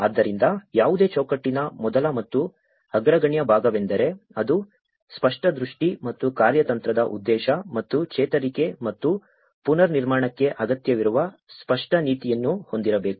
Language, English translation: Kannada, So, the very first and foremost part of the any framework is it should have a clear vision and a strategic objective and a clear policy which is needed for recovery and reconstruction